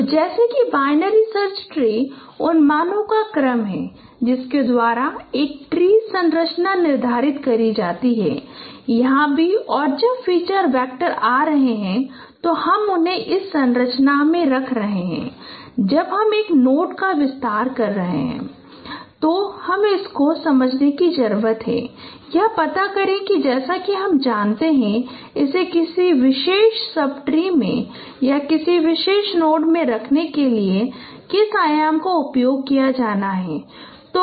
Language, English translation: Hindi, So like binary search tree is the order of values by which a tree structure is determined here also as and when the feature vectors are coming you are keeping them into a in a in this structure and when you are expanding a node when you are placing it you need to understand find out that now which dimension to be used for placing it into a particular sub tree or in a particular node